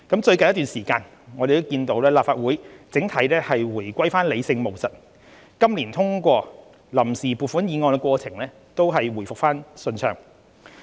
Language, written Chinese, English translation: Cantonese, 最近一段時間，我們看到立法會整體回歸理性務實，今年通過臨時撥款議案的過程回復暢順。, In recent times when rationality is restored in the Legislative Council the resolution this year was passed smoothly as in the past